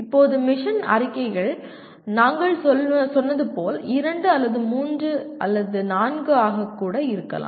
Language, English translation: Tamil, Now mission statements can be two, three, four as we said